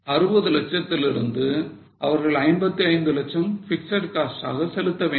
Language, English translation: Tamil, From 60 lakhs they have to pay fixed cost of 55 lakhs